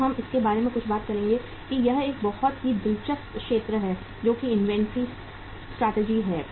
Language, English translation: Hindi, Now we will talk something about the it is a very interesting area uh next part that is the inventory strategies